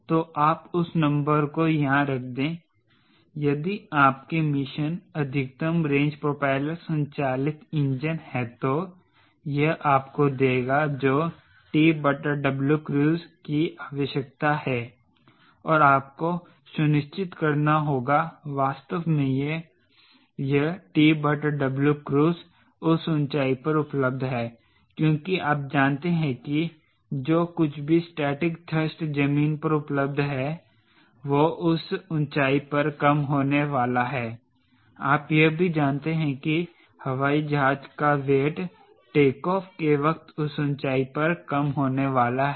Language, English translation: Hindi, so you put that number here, for if your mission is getting a maximum range propeller driven engine, that this will give you what is the t by w cruise requirement and you have to ensure that really this t by w cruise available at that altitude because you know whatever static thrust at ground available that is going to reduce of that altitude